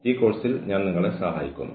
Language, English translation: Malayalam, I have been helping you with this course